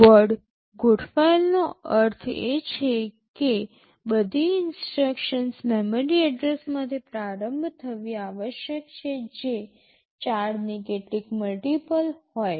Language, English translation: Gujarati, Word aligned means all instructions must start from a memory address that is some multiple of 4